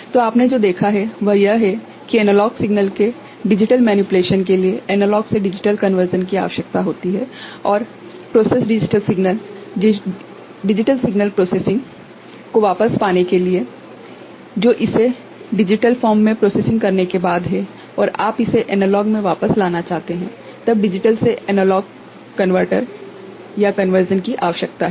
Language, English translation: Hindi, So, what you have seen is that for digital manipulation of analog signal, analog to digital conversion is needed and to get back the processed digital signal digitally processed signal, which is after processing it in digital form and you want to get back it into analog from then digital to analog conversion is needed ok